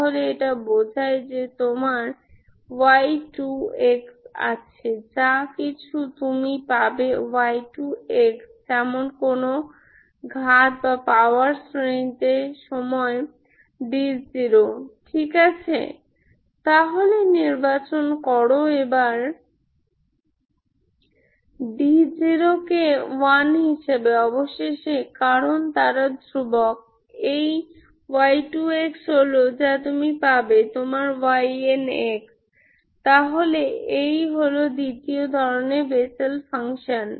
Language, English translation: Bengali, So this implies you have your y 2, whatever you get y 2 as some power series times d naught, Ok, so choose your d naught as 1, finally because they are constant, this y 2 of x is what you get is your y n of x, so this is what is the Bessel function of, Bessel function of second kind, Ok